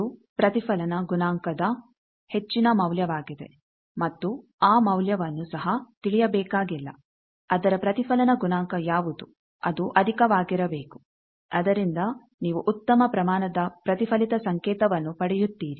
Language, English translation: Kannada, That it is a high value of reflection coefficient and that value also need not know that what is the reflection coefficient of that it should be high so that you get good amount of reflected signal